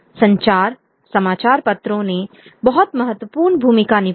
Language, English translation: Hindi, Newspapers played a very important role